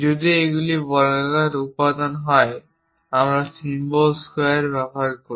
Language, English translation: Bengali, If these are square components we use symbol squares